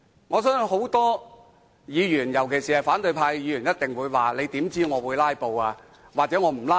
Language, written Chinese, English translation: Cantonese, 我相信很多議員，尤其是反對派議員一定會說："你又如何得知我會'拉布'呢？, I believe many Members especially Members from the opposition camp will ask How do you know that I will filibuster?